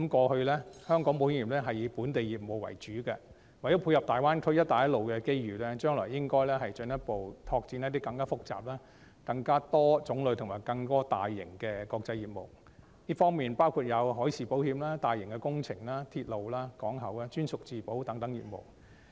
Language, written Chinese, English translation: Cantonese, 香港保險業過去以本地業務為主，為了配合大灣區及"一帶一路"的機遇，將來應該進一步拓展一些更複雜、更多種類及更大型的國際業務，包括海事保險、大型工程、鐵路、港口、專屬自保等業務。, The insurance industry of Hong Kong used to lay its focus on local business . In order to leverage the opportunities brought about by the Greater Bay Area and the Belt and Road Initiative it should in future further expand some international businesses that are greater in complicity diversity and scale including marine insurance mega projects railways ports and captive insurance